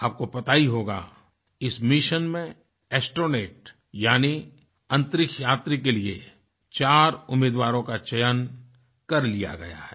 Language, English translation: Hindi, Friends, you would be aware that four candidates have been already selected as astronauts for this mission